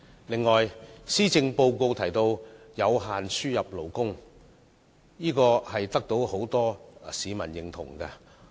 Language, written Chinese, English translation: Cantonese, 此外，施政報告提到有規限地增加輸入勞工，建議得到很多市民認同。, Furthermore the proposal put forward in the Policy Address for increasing imported labour on a limited scale has gained the approval of many people